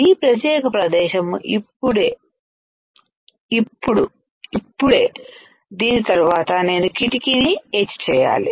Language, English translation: Telugu, This particular area is right over here right after this, I have to etch the window